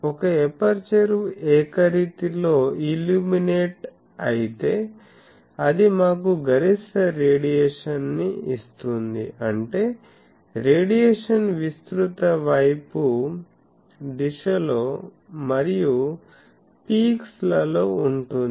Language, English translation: Telugu, If an aperture is illuminated uniformly that gives us the maximum radiation; that means, the radiation is in the broad side direction and peaks